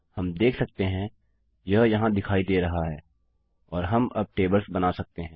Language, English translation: Hindi, We can see it appears here and we can now create tables